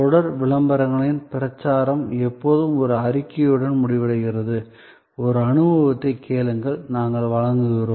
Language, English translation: Tamil, The campaign of the series of ads always ends with one statement, ask for an experience and we deliver